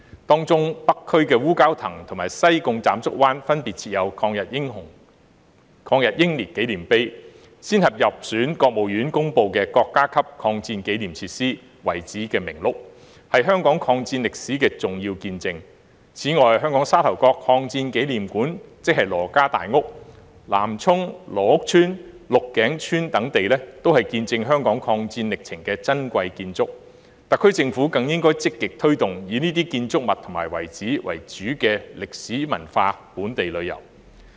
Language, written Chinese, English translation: Cantonese, 當中北區烏蛟騰和西貢斬竹灣分別設有抗日英烈紀念碑，先後入選國務院公布的國家級抗戰紀念設施、遺址名錄，是香港抗戰歷史的重要見證；此外，香港沙頭角抗戰紀念館、南涌羅屋村、鹿頸村等地，都是見證香港抗戰歷程的珍貴建築，特區政府更應積極推動以這些建築物及遺址為主的歷史文化本地旅遊。, The monuments for anti - Japanese aggression martyrs in Wu Kau Tang of North District and in Tsam Chuk Wan of Sai Kung incorporated by the State Council into the List of State Facilities and Sites Marking the War of Resistance Against Japanese Aggression are important testimonies to the history of the War of Resistance in Hong Kong . Moreover the Hong Kong Sha Tau Kok Anti - War Memorial Hall Nam Chung Lo Uk Village and Luk Keng Village etc are precious architecture that witnessed the history of the War of Resistance in Hong Kong . The SAR Government should promote in a more proactive way historical and cultural themed local tourism based on these architecture and sites